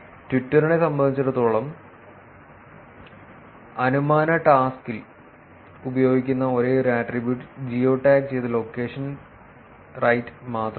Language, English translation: Malayalam, For Twitter, the only attribute used in the inferences task is the geo tagged location right